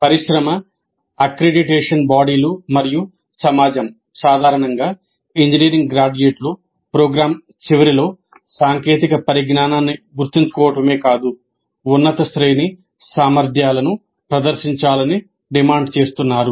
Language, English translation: Telugu, Industry, accreditation bodies and society in general are demanding that engineering graduates must demonstrate at the end of the program not just memorized technical knowledge but higher order competencies